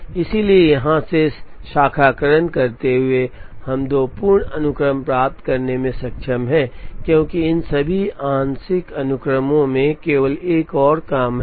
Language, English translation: Hindi, So, branching from here, we are able to get two full sequences, because in all these partial sequence, there is only one more job to go